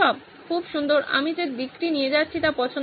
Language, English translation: Bengali, Very nice, I liked the direction that this is going